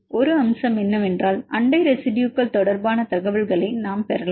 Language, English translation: Tamil, So, one aspect is we can get the information regarding neighboring residues